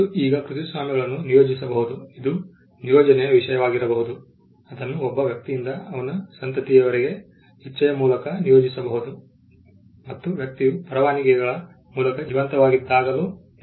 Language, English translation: Kannada, Now, copyrights can be assigned it can be a subject matter of assignment, it can be assigned through the will from a person to his offspring’s it can also be assigned while the person is alive by way of licences